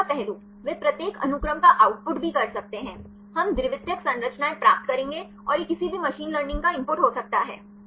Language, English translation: Hindi, And the second aspect; they can also do the output of each sequence, we will get the secondary structures and this can be the input of any machine learning